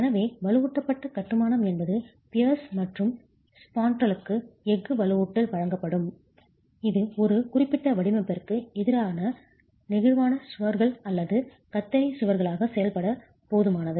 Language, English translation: Tamil, So strictly speaking reinforced masonry is when the piers and the spandrels are provided with steel reinforcement necessary enough to act as flexual walls or shear walls against a specific design